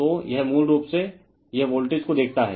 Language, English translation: Hindi, So, it , basically, it is sees the voltage